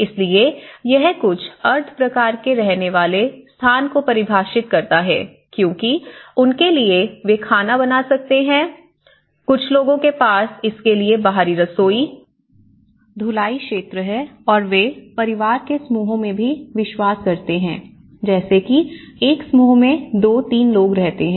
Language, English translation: Hindi, So, this defines some a kind of semi living space because, for them, they can cook, some people have some outdoor kitchens to it, some people can have a washing area, some people and if it is and they also believe in kind of family clusters you know like 2, 3 people live in a cluster